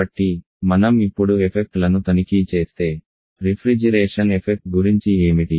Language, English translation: Telugu, So if you check the effects now, what about the refrigeration effect